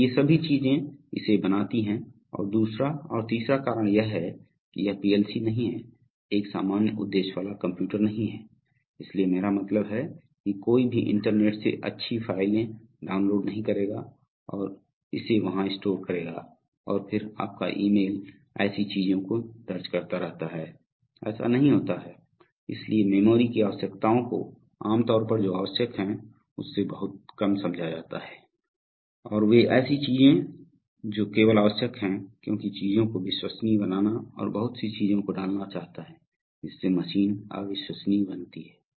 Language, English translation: Hindi, So all these things make this and the second and the third reason is that a PLC is not a, is not a general purpose computer, so I mean no one is going to download nice files from the internet and store it there and then your emails keep filing up such things do not happen, so therefore memory requirements are generally well understood and much less than what is required, so therefore they are one keeps things only which is required because one wants to make things reliable and putting too many things into machine makes it unreliable right